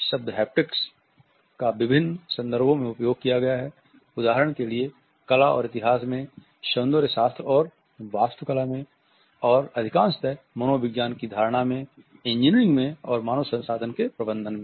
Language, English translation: Hindi, The term haptics is deployed in various contexts for example in art history in aesthetics and architecture, and more frequently in the psychology of perception and engineering in man management in human resources